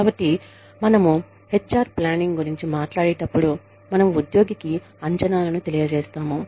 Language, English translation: Telugu, So, when we talk about HR planning, we communicate the expectations, to the employee